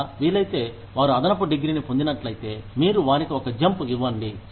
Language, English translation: Telugu, Or if possible, if they get an additional degree, then you give them a jump